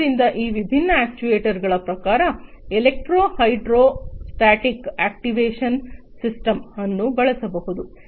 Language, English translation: Kannada, So, in terms of these actuators different actuators could be used electro hydrostatic actuation system